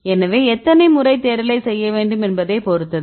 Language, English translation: Tamil, So, that depends on the number of times you need to do the searching right